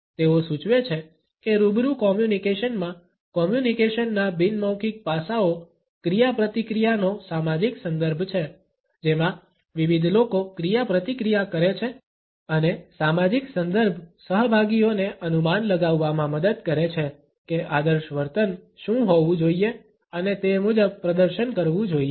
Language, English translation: Gujarati, They suggest that in face to face communication, nonverbal aspects of communication establish is social context of interaction within which different people interact and the social context helps the participants to infer what should be the normative behaviour and perform accordingly